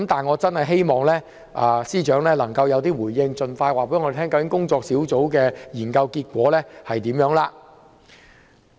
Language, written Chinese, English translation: Cantonese, 我很希望司長能夠有所回應，盡快告知工作小組的研究結果。, I earnestly hope that the Secretary for Justice will respond and inform us expeditiously of the findings of the Working Group